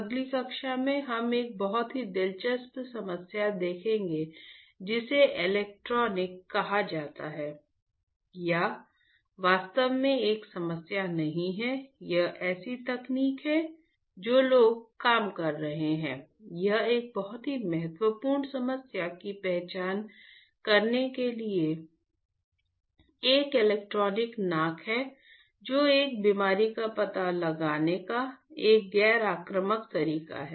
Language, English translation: Hindi, In the next class we will see a very interesting problem called electronic or not actually a problem a technology that people are working which is a electronic nose to identify a very important problem which is a non invasive way of detecting a disease